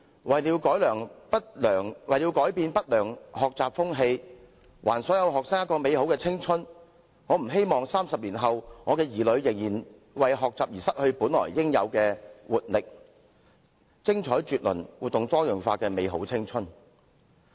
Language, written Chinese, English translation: Cantonese, 為了改變不良學習風氣，還所有學生一個美好的青春，我不希望30年後，我的子女仍然要為學習而失去本來應有的活力，以及享受精彩絕倫和多姿多采的生命的美好青春。, In order to change the undesirable atmosphere of learning and let all students enjoy their youth I do not hope to see 30 years from now my children lose their vibrancy and youthful years of wonderful and colourful lives for the sake of learning as the children nowadays do